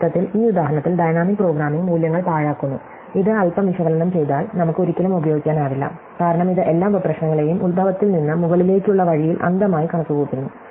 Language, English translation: Malayalam, So, in a sense, in this example, dynamic programming is wastefully computing values, which we can by little bit of analysis realize will never be used because it is just blindly computing every sub problem on its way from the origin to the top